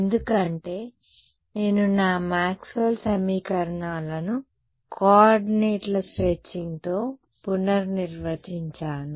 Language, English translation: Telugu, It should because, I have redefined my Maxwell’s equations with the coordinates stretching